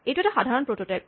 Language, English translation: Assamese, Here is a simple prototype